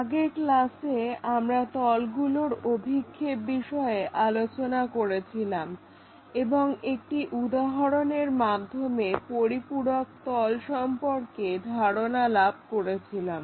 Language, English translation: Bengali, In the last class, we try to look at projection of planes and had an idea about auxiliary planes through an example